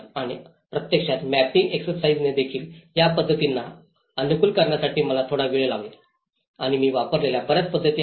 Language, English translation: Marathi, And also the mapping exercises in fact, this to tailor these methods it took me some time and there are many methods which I have used